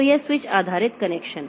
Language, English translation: Hindi, So, this switch based connection